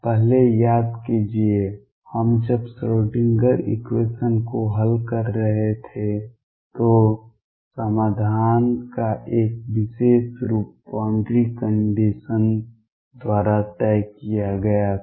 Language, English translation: Hindi, Remember earlier when we where solving the Schrödinger equation a particular form of the solution was decided by the boundary condition